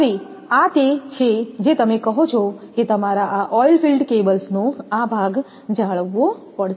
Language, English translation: Gujarati, So, these are your what you call that you have to maintain this part oil filled cable